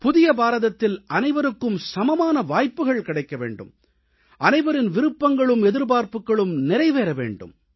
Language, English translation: Tamil, In the New India everyone will have equal opportunity and aspirations and wishes of everyone will be fulfilled